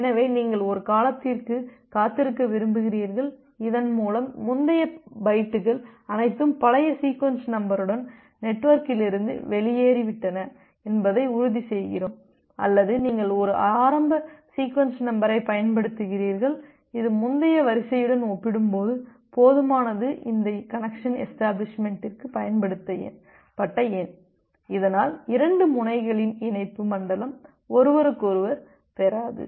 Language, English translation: Tamil, So you want to either either wait for a duration so, that we make ensure that all the previous bytes with the old sequence number that are gone out of the network or you use a initial sequence number, which is high enough compared to the previous sequence number that has been utilized for this connection establishment, so that the connection zone of 2 nodes they doesn’t get with each other